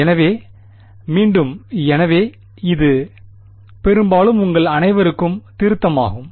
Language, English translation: Tamil, So, again, so this is mostly revision for you all